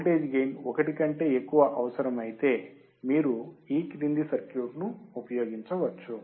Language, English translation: Telugu, If a voltage gain greater than 1 is required, you can use the following circuit